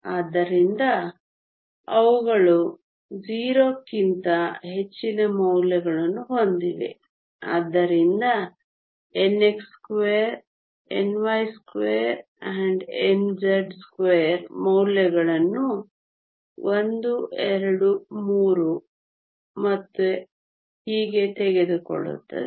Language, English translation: Kannada, So, they have values greater than 0, so n x, n y and n z take values a 1, 2, 3 and so on